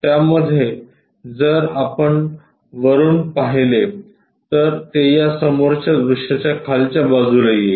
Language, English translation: Marathi, In that if, we are looking from top it goes to bottom side of this front view